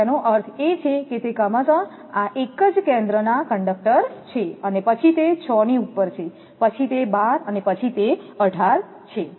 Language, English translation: Gujarati, So, that means, it is strands respectively this is single centre conductor then above that 6, then about that 12, then about that 18